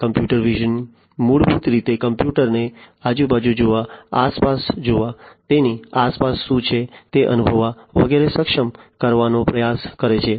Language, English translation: Gujarati, Computer vision is basically trying to enable a computer to see around, to see around, to feel what is around it and so on